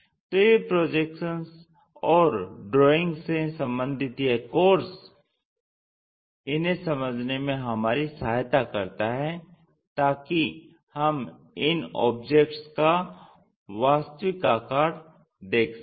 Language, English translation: Hindi, The projections and the drawing course help us to visualize, to find out these object true shapes